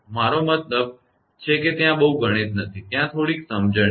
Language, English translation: Gujarati, I mean there is not much mathematics there only little bit of understanding